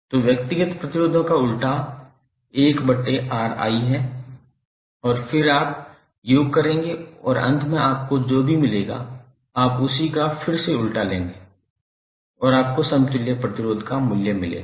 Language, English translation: Hindi, So reciprocal of individual resistances is 1 upon Ri and then you will sum up and whatever you will get finally you will take again the reciprocal of same and you will get the value of equivalent resistance